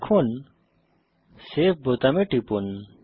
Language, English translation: Bengali, Then click on Save button